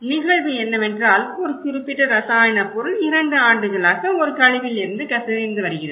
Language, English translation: Tamil, The event is that a specific chemical substance has been leaking from a waste repository for two years